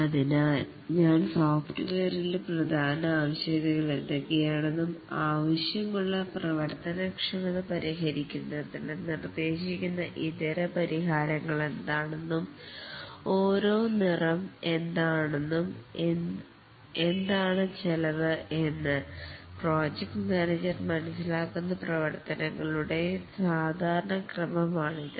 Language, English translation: Malayalam, So, this is a typical sequence of activities that occurs that the project manager understands what are the requirements, main requirements for the software, what are the alternate solutions that can be proposed to solve the functionalities that are required and what is the cost for each of these alternate functionalities